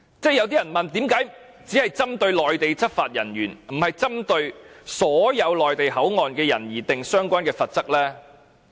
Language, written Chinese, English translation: Cantonese, 有些人問為何只是針對內地執法人員，而不是針對所有內地口岸區的人而訂定相關罰則？, Some people ask why the relevant penalty is targeted at Mainland law enforcement officers but not all the people in MPA